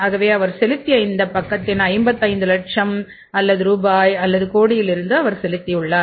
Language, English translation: Tamil, So, and this site he has paid how much he has paid the from the 55 lakhs or rupees or crores of the balance